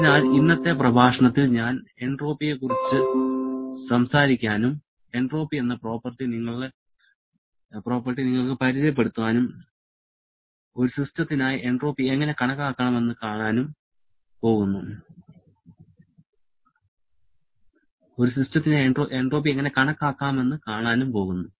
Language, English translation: Malayalam, So, in today's lecture, I am going to talk about entropy, introduce the property entropy to you and see how we can calculate entropy for a system